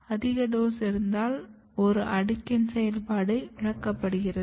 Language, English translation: Tamil, And if you have more doses, even one layer of this activity is lost